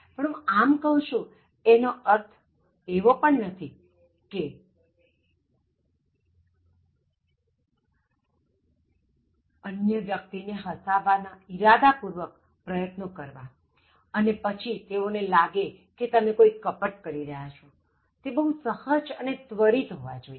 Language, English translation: Gujarati, Now, when I say this, so you should not make deliberate attempts to make the other person laugh and then, then they may feel that you are trying to do something fraudulent it has to be very natural and spontaneous